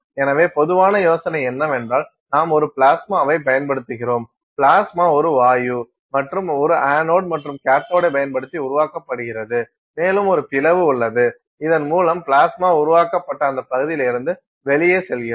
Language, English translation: Tamil, So, the general idea is this we are using a plasma and that plasma is generated using a gas and an anode and a cathode and that plasma is created which and there is an opening through which that plasma escapes from that region where it is created